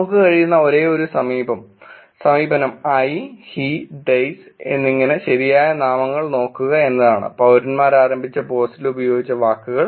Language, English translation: Malayalam, The one approach that we could it was looking at the proper nouns i’s and he's and they's, words used in the post that were initiated by the citizens